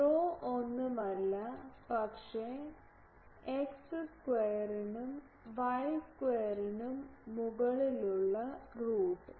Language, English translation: Malayalam, Rho is nothing, but root over x square plus y square